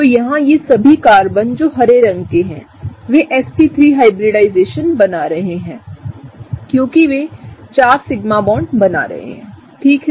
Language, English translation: Hindi, So, all of these carbons here, the green ones, are forming, are sp3 hybridization because they are forming 4 sigma bonds, right